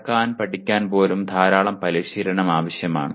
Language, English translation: Malayalam, Even learning to walk requires lot of practice